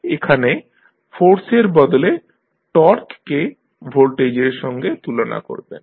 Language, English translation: Bengali, So, where you instead of force you compare torque with the voltage